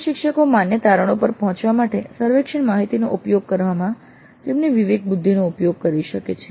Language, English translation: Gujarati, Instructors can use their discretion in making use of the survey data to reach valid conclusions